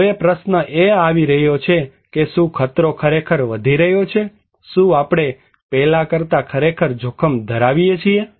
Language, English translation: Gujarati, Now, coming also the question; are dangerous really increasing, are we really at risk than before